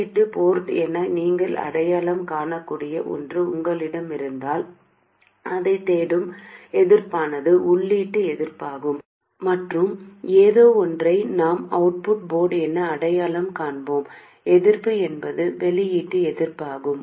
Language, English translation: Tamil, If you have something that you can identify as the input port, then the resistance looking into that is the input resistance and something that is identified as the output port, resistance looking into that is the output resistance